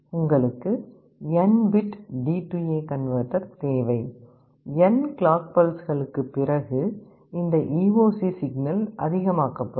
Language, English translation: Tamil, You need a D/A converter of n bits, after n clock pulses this EOC signal will be made high